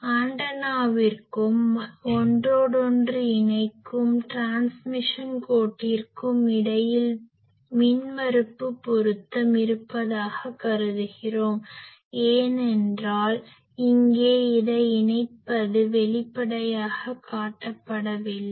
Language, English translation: Tamil, Also we assume that the impedance matching is there between the antenna and the interconnecting transmission line because, here when we are saying that connecting this here we have not explicitly shown